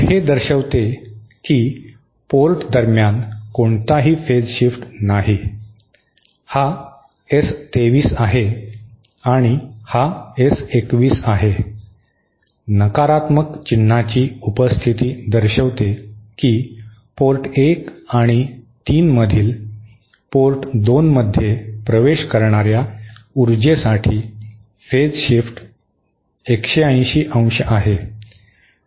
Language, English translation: Marathi, So, this shows that there is no phase shift between say, this is S 23 and this is S21, the presence of a negative sign shows that the phase shift between ports 1 and 3 for power entering port 2 is 180¡